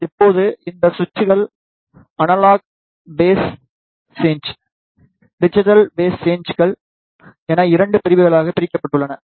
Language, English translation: Tamil, Now, these switches are divided into 2 categories analogue phase shifter, digital phase shifters